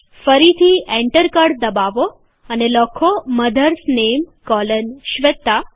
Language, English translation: Gujarati, Again press the Enter key and type MOTHERS NAME colon SHWETA